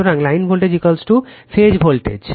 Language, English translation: Bengali, So, line voltage is equal to phase voltage